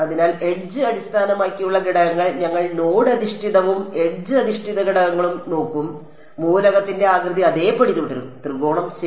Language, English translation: Malayalam, So, edge based elements and we will we will look at both node based and edge based elements, the element shape remains the same so, triangle ok